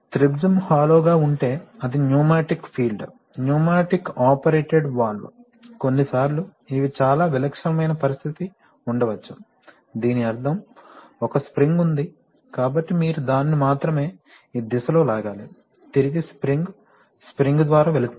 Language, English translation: Telugu, If the triangle is hollow then it is a pneumatically field, pneumatically operated valve, sometimes, so these are very typical situation, sometimes we may have an, we may have, this means that there is a spring, so you only need to pull it in this direction, then return is by spring